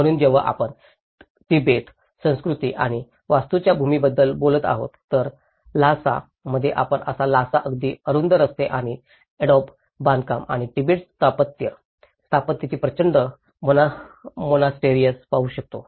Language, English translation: Marathi, So, when we talk about the land of Tibet, culture and architecture, so in Lhasa, this is how, we see the Lhasa now, the very narrow streets and Adobe constructions and the huge monasteries of the Tibetan architecture